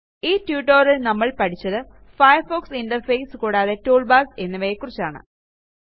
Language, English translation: Malayalam, In this tutorial, we learnt aboutThe Firefox interface The toolbars Try this comprehensive assignment.